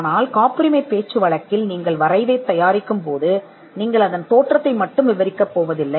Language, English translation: Tamil, But in patent parlance when you draft a patent, you are not going to merely describe it is appearance